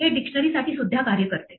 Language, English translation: Marathi, This also works for dictionaries